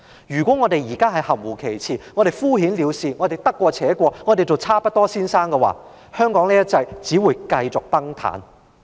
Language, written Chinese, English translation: Cantonese, 如果我們含糊其辭、敷衍了事、得過且過，或我們都做"差不多先生"，"一國兩制"將會繼續崩塌。, If we are vague perfunctory and just muddle along we may all become Mr Almost Good Enough and one country two systems will continue to fall apart